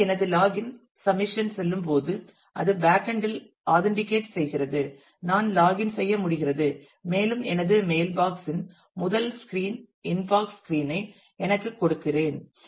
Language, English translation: Tamil, So, when my login submission goes it is authenticated in the backend I am able to login and I am given back the first screen of my mail box which is the inbox screen